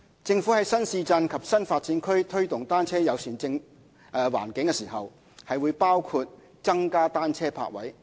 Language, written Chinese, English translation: Cantonese, 政府在新市鎮及新發展區推動"單車友善"環境時，會包括增加單車泊位。, When fostering a bicycle - friendly environment in new towns and new development areas the Government will provide more bicycle parking spaces